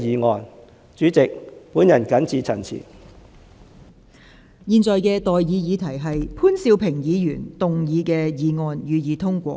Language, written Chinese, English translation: Cantonese, 我現在向各位提出的待議議題是：潘兆平議員動議的議案，予以通過。, I now propose the question to you and that is That the motion moved by Mr POON Siu - ping be passed